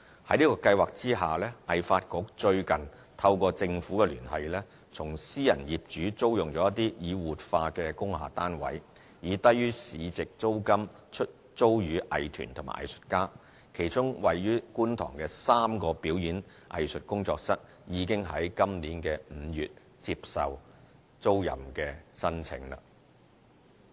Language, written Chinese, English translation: Cantonese, 在此計劃下，藝發局最近透過政府聯繫，從私人業主租用了一些已活化的工廈單位，以低於市值租金出租予藝團和藝術家，其中位於觀塘的3個表演藝術工作室，已於今年5月接受租賃申請。, Under this Scheme HKADC rents revitalized industrial building units through Government connection and sublets them to arts groups and artists at below - market rates . Among the units three studios in Kwun Tong for performing arts have been put up for rent from May this year